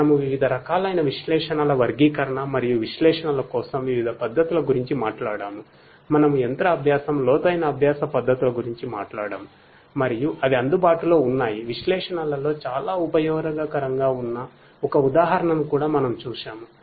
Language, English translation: Telugu, We talked about the classification of different types of analytics and the different methodologies for analytics; we talked about machine learning, deep learning methods and that are available; we also saw an example where analytics would be very much useful